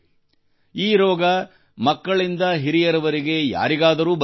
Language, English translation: Kannada, This disease can happen to anyone from children to elders